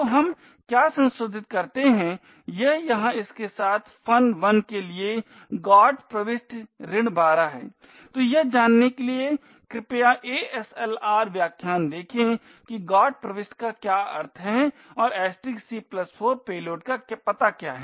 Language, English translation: Hindi, So, what we modify it is with over here is the GOT entry minus 12 for function 1, so please refer to the ASLR lectures to find out what the GOT entry means and *(c+4) is the address of the payload